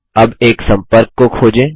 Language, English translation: Hindi, Now, lets search for a contact